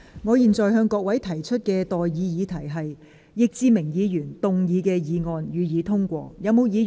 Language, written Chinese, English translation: Cantonese, 我現在向各位提出的待議議題是：易志明議員動議的議案，予以通過。, I now propose the question to you and that is That the motion moved by Mr Frankie YICK be passed